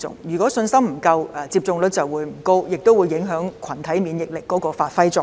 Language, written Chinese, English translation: Cantonese, 如果信心不足，接種率就會不高，更會影響群體免疫力發揮作用。, If there is a lack of confidence the vaccination rate will not be high and even the effect of herd immunity will be affected